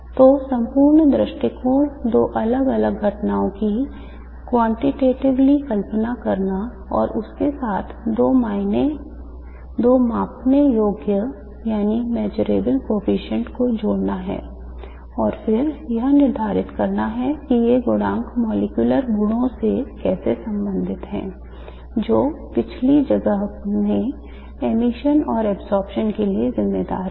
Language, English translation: Hindi, So the whole approach is to quantitatively visualize two different phenomena and associate with it two measurable coefficients and then determine how these coefficients are related to the molecular properties which are responsible for the emission and the absorption in the first place